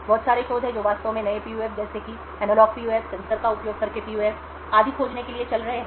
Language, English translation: Hindi, There is a lot of research which is going on to find actually new PUFs such as analog PUFs, PUFs using sensor and so on